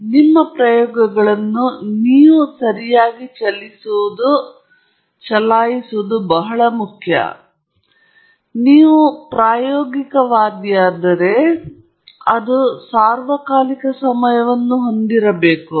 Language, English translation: Kannada, So, it is very important for you to run your experiments correctly and if you are an experimentalist, that is something that will have to put up with all the time